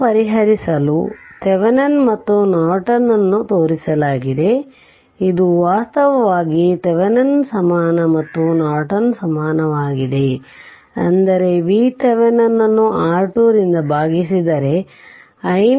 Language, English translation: Kannada, just to verify this the Thevenin and Norton you are shown in this thing so, this is actually Thevenin equivalent right and this is Norton equivalent; that means, if you divide V Thevenin by R Thevenin you will get i Norton that is 2